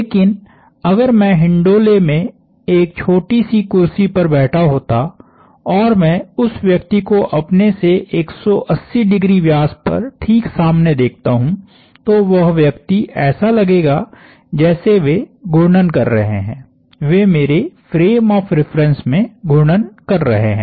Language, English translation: Hindi, But, if I was sitting in a little chair in the merry go round and I look at the person away from me 180 degrees on the diameter across the diametrically opposite to me, that person would look like they are moving, they are rotating about me in my frame of reference